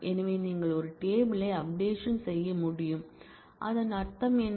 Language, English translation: Tamil, So, you can update a table and what it means that